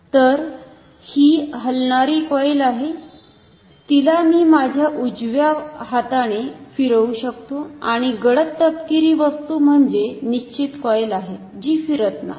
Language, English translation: Marathi, So, this is the moving coil which I am rotating with my right hand and the dark brown thing is the fixed coil which is not rotating